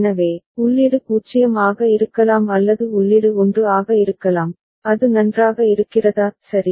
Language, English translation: Tamil, So, input can be 0 or input can be 1, is it fine right